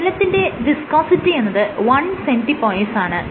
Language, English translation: Malayalam, So, viscosity of water is 1 cP